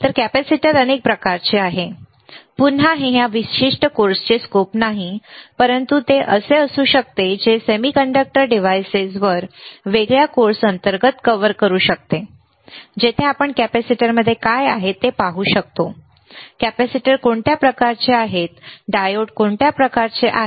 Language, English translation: Marathi, So, again capacitors are several types again this is not a scope of this particular course, but that can be that can cover under a different course on semiconductor devices, where we can see what is then within the capacitor what are kind of capacitor the kind of diodes